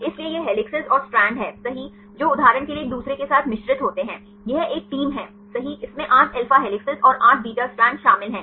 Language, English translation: Hindi, So, this helices and strands right which are mix with each other right for example, this is one team right it contains 8 alpha helices and 8 beta strands